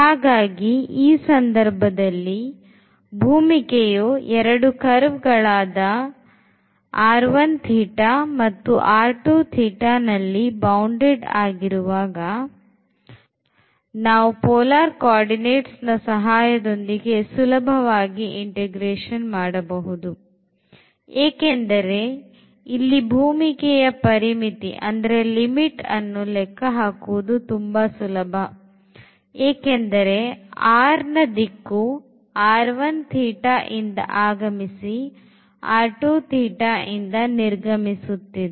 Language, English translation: Kannada, So, in that situation, whenever domain is bounded by these two curves here r 1 theta and r 2 theta, then we can actually do the integration easily with the help of the polar coordinates, because the limits for this domain here r easy to evaluate because in the direction of r here entering the domain from this r 1 theta and it existing this domain from r 2 theta